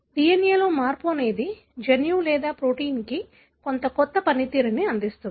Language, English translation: Telugu, How change in the DNA give some novel function to the gene or the protein